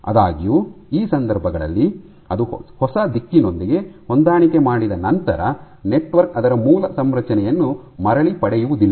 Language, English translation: Kannada, However so, in these cases once it aligns with the new direction the network will not regain it is original configuration